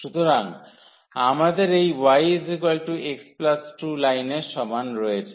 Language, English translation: Bengali, So, this is the situation we have this y is equal to x plus 2 line